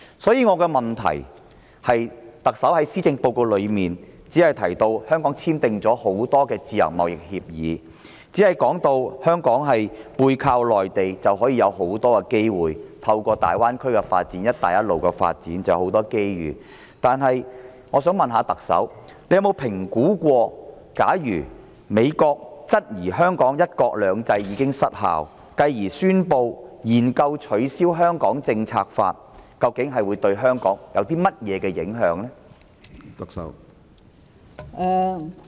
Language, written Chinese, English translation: Cantonese, 因此，我的質詢是，特首在施政報告中只提到香港簽訂了多項自由貿易協議，加上香港背靠內地，已能獲得大量機會，而大灣區及"一帶一路"的發展亦會帶來很多機遇，但我想問特首有否評估，假如美國質疑香港的"一國兩制"已失效，繼而宣布研究取消《香港政策法》，究竟會對香港有何影響？, The Chief Executive has mentioned in the Policy Address only the signing of a number of free trade agreements and that Hong Kong has accessed ample opportunities leveraging on the Mainland . Also the Belt and Road Initiative and the Greater Bay Area development will also bring enormous opportunities . But may I ask the Chief Executive whether she has assessed the impact on Hong Kong if the United States doubts that one country two systems has failed in Hong Kong and then announces the commencement of a study on repealing the Hong Kong Policy Act?